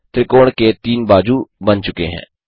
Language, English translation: Hindi, 3 sides of the triangle are drawn